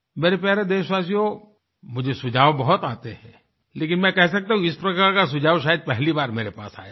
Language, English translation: Hindi, My dear countrymen, I receive a lot of suggestions, but it would be safe to say that this suggestion is unique